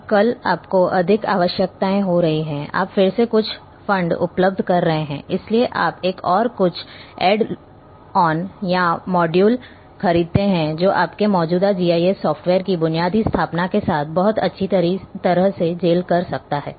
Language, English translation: Hindi, Now, tomorrow you are having more requirements, you are having again some funds available, so you buy another some add on or modules which can very well gel with your existing basic installation of GIS software